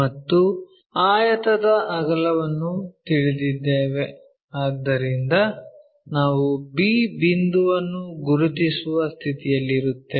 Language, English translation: Kannada, And rectangle breadth is known, so we will be in a position to locate b point